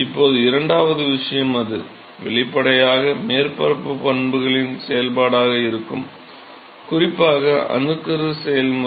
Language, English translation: Tamil, Now the second thing is it is; obviously, going to be a function of the surface properties, particularly the nucleation process